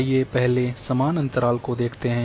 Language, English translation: Hindi, Let’s have first equal interval